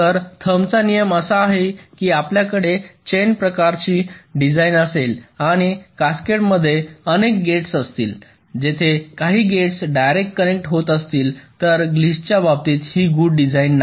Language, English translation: Marathi, so rule of thumb is: if you have a chain kind of a structure and many gates in cascade where some of the gates are connecting directly, this is not a good structure